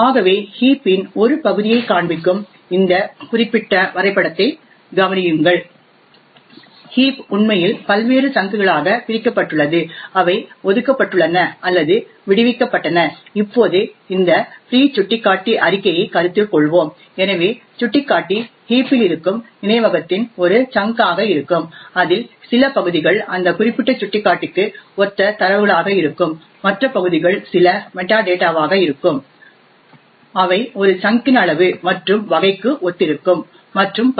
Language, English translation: Tamil, So consider this particular figure which shows a part of the heap as we know the heap is actually divided into various chunks which are either allocated or freed now let us consider this free pointer statement, so as you know pointer would be a chunk of memory present in the heap out of which some areas would be the data corresponding to that particular pointer and the other areas would be some metadata that corresponding to size and type of a chunk and so on